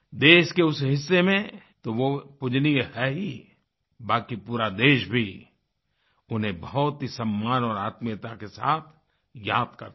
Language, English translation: Hindi, He is greatly revered in that part of our country and the whole nation remembers him with great respect and regard